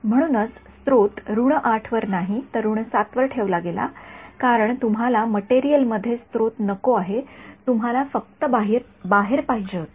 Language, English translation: Marathi, That is why the source was put at the minus 7 not at minus 8 because you do not want source in the material you wanted just outside ok